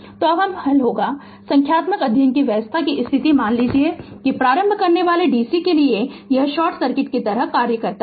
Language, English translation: Hindi, So, when will solve numerical study state condition we have to assume that inductor acts like a short circuit to dc